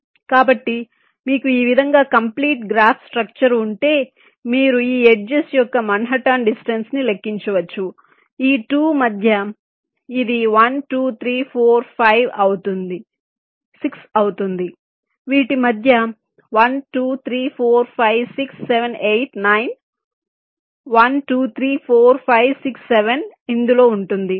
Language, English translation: Telugu, so if you have a complete graph structure like this so you can make a calculation of the manhattan distance of all this, six edges, say, between these two it will be one, two, three, four, five, six